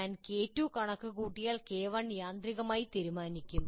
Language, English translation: Malayalam, And once I compute K2, K1 is automatically decided